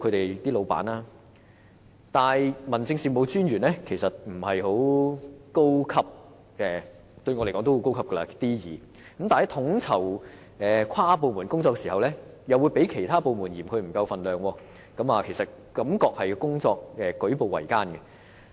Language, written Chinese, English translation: Cantonese, 然而 ，DO 不算是很高職級的官員——雖然對我來說 D2 級公務員已算是高級——在統籌跨部門工作時，其他部門會嫌他們分量不夠 ，DO 的工作實在舉步維艱。, District Officers are not high - ranking officials―although civil servants at D2 grade is already high - ranking in my view―other government departments consider them not powerful enough to coordinate interdepartmental tasks . The District Officers really face many difficulties in performing their duties